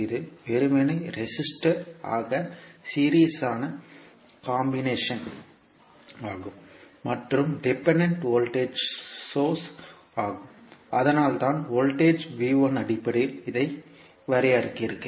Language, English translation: Tamil, So this is simply a series combination of the resistor and the dependent voltage source that is why you define it in terms of voltage V1